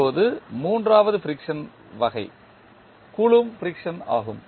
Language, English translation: Tamil, Now, the third friction type is Coulomb friction